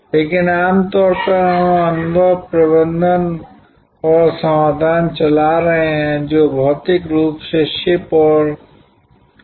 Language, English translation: Hindi, But, generally we are moving experiences, performances and solutions which are not physically shipped and stored